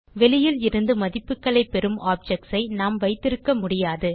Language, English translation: Tamil, You cannot have objects taking values from out side